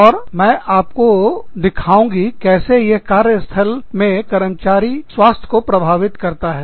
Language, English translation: Hindi, And, i will show you, how that affects, employee health in the workplace